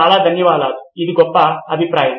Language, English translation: Telugu, Thank you very much that was a great feedback